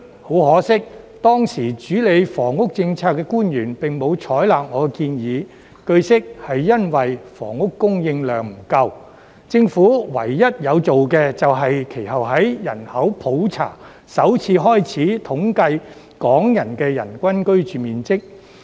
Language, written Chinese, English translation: Cantonese, 很可惜，當時主理房屋政策的官員並沒有採納我的建議，據悉是因為房屋供應量不足，政府唯一有做的便是其後在人口普查首次開始統計港人的人均居住面積。, Unfortunately the officials in charge of the housing policy at that time did not adopt my proposal and the lack of housing supply was said to be the reason behind . The only thing the Government did was to subsequently compile for the first time statistics on the average living space per person of Hong Kong people in the population census